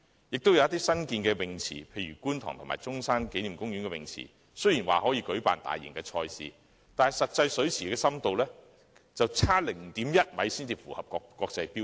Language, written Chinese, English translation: Cantonese, 有一些新建的游泳池，例如觀塘游泳池和中山紀念公園游泳池，雖然可以舉辦大型賽事，但水池的實際深度卻差 0.1 米才符合國際標準。, On the other hand the actual depth of some newly - built swimming pools such as the Kwun Tong Swimming Pool and the Sun Yat Sen Memorial Park Swimming Pool is 0.1 m short of the international standard though major competitions can still be held there